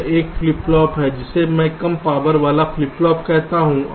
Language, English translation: Hindi, so this is a flip flop which i call a low power flip flop